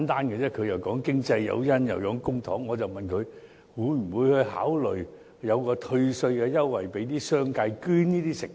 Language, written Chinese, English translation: Cantonese, 局長又說經濟誘因，又說公帑，我只是問他，會不會考慮向商界提供退稅優惠，鼓勵他們捐贈食物？, The Secretary has referred to economic incentives and public money but I am merely asking him whether he will consider providing the business sector with tax refund so as to encourage them to donate foods